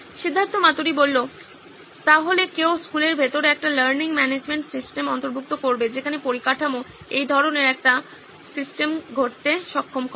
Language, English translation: Bengali, So one would be incorporating a learning management system inside the school where the infrastructure enables this kind of a system to happen